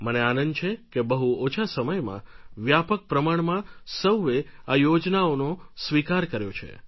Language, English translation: Gujarati, I am happy that in a very short span of time all these schemes have been accepted in large numbers